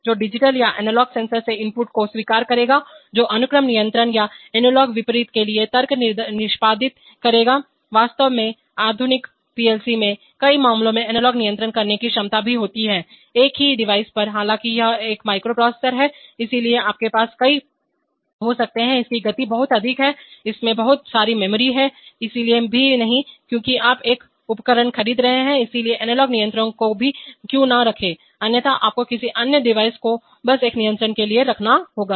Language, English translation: Hindi, Which will accept inputs from digital or analog sensors, which will execute logic for sequence control or analog contrary, in fact modern PLCs in many, many cases also contain capabilities for doing analog controls, on the same device, after all its a microprocessor, so you can have several, its speed is very high, it has lot of memory, so why not also, one since you are buying a device why not put the analog controls also, otherwise you will have to put by another device just for another controls